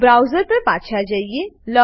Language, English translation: Gujarati, So, switch back to the browser